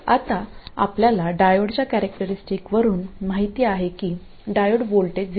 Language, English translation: Marathi, Now we know from the diode characteristic that the diode voltage cannot be more than 0